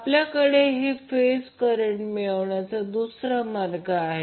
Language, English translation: Marathi, Now we have another way to obtain these phase currents